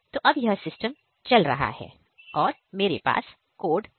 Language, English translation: Hindi, So now this system is running I have run the code